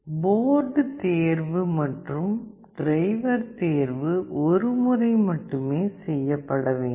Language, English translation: Tamil, The board selection and the driver selection have to be done only once